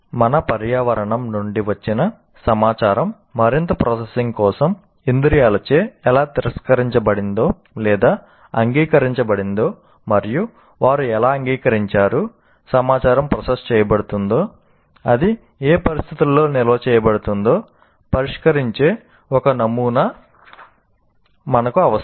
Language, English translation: Telugu, Now, we require a model that should address how the information from our environment is rejected or accepted by senses for further processing and how the accepted information is processed under what conditions it gets stored